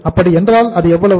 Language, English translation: Tamil, Then it is how much